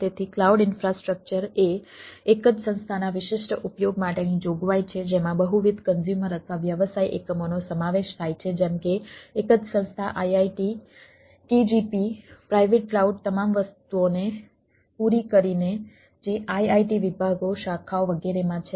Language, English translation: Gujarati, so the cloud infrastructure is provision for exclusive use of a single organization comprising a multiple consumers or business units, like a same organization, say iit, kgp, private cloud, my catering, all the things which in the iit departments, etcetera, may be owned, managed and operated by the organization